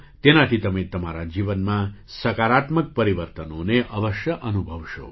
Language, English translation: Gujarati, You will certainly feel positive changes in your life by doing this